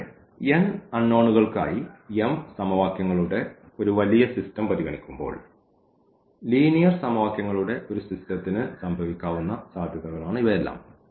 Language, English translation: Malayalam, And, these all are the possibilities which can happen for a system of linear equations when we consider a large system of m equations with n unknowns